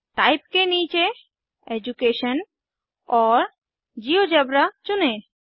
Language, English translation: Hindi, Under Type Choose Education and GeoGebra